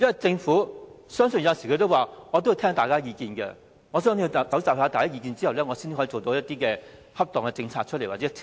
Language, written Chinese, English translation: Cantonese, 政府有時候也說要聆聽大家的意見，收集大家的意見後，才能推出恰當的政策或條例。, Sometimes the Government says that it will listen to Members views saying that it has to collect Members views before it can formulate appropriate policies or ordinances